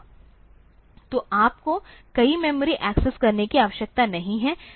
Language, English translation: Hindi, So, you do not have to do so many memory accesses